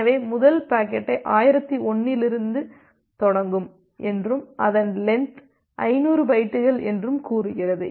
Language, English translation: Tamil, So, the first packet say it will start from 1001 and it has the length of 50 bytes